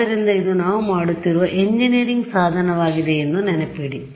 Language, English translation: Kannada, So, remember it is an engineering tool kind of a thing that we are doing